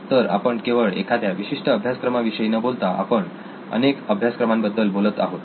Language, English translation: Marathi, So we are not just talking one course but actually bouquet of courses